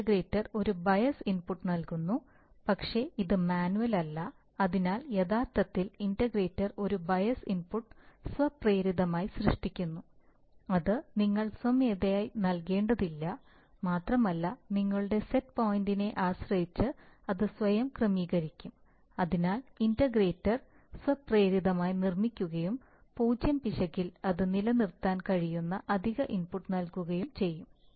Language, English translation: Malayalam, The integrator actually works as a very interesting thing it actually gives a bias input but which is not manual, so the bias input, integrator is actually, exactly like the, like the, like the bias input but it generates, it automatically, you do not have to give it manual, you do not have to give it manually, and it will adjust itself depending on, if you, depending on the set point, so the integrator will automatically build up and give enough additional input such that at zero error it can be sustained